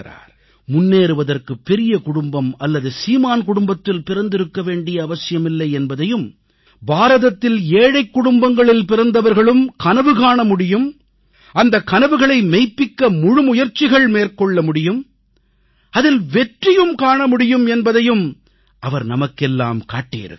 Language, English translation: Tamil, He showed us that to succeed it is not necessary for the person to be born in an illustrious or rich family, but even those who are born to poor families in India can also dare to dream their dreams and realize those dreams by achieving success